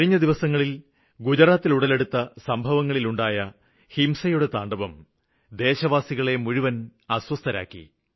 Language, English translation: Malayalam, In the past few days the events in Gujarat, the violence unsettled the entire country